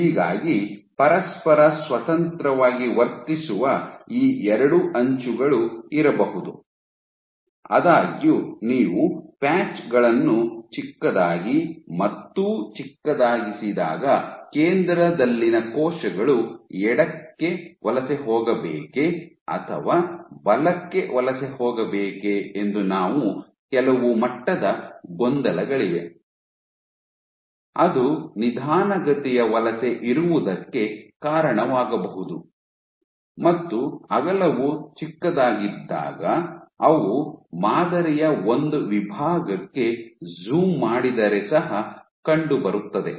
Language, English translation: Kannada, So, you have that you can have these two edges which are behaving independently of each other; however, when you make the patches smaller and smaller there is some level of confusion for cells at the center whether they want to migrate left or migrate right, that might be the cause why you have a slower migration when the width was smaller what they also found